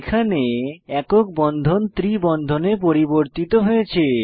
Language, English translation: Bengali, Next lets convert the single bond to a triple bond